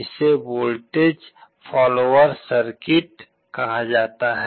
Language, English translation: Hindi, This is called a voltage follower circuit